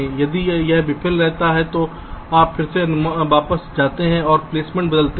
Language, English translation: Hindi, if it fails, you again go back and change the placement